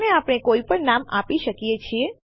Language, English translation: Gujarati, So we can give this any name